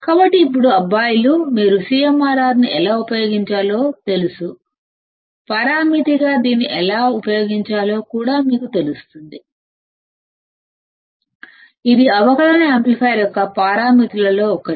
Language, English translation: Telugu, So, now you guys know how to use CMRR, you guys will also know how to use this as the parameter this is one of the parameters of a differential amplifier or the realistic parameter of operational amplifier